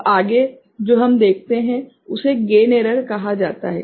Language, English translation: Hindi, Now, next what we see is called gain error right